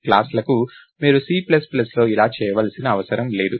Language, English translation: Telugu, For classes you don't have to do that in C plus plus